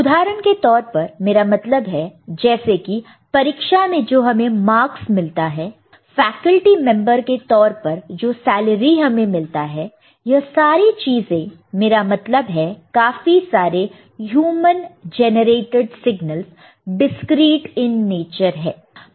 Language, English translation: Hindi, The examples are, I mean what about like the marks that we get in our exam, a salary that we get as a faculty member or all these things, I mean the most of these human generated signals are discreet in nature